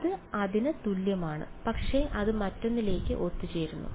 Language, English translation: Malayalam, It is exactly equal to that it converges to that